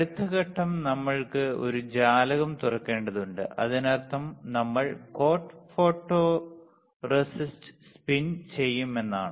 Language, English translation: Malayalam, Next step is we had to open a window right; that means that we will spin coat photoresist